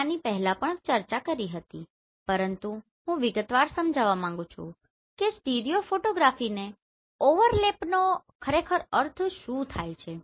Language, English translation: Gujarati, I have discussed this before also, but I want to explain in detail what exactly we mean by overlapping stereo photography